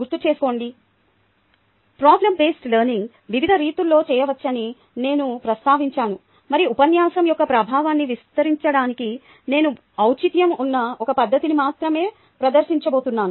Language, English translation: Telugu, ok, remember i mentioned that problem based learning can be done in various different modes and i am going to present will be one of the modes of relevance to extending the effectiveness of a lecture